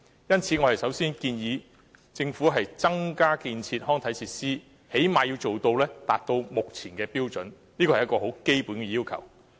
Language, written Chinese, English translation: Cantonese, 因此，我們首先建議政府增建康體設施，最低限度要達到《規劃標準》的水平，這是基本要求。, Therefore our first proposal is that the Government should build more recreational facilities at least to the point of meeting the level in HKPSG . This is the basic requirement